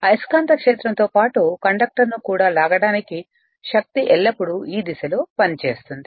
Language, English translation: Telugu, And the force always act in a direction to drag the conductor you are along with the magnetic field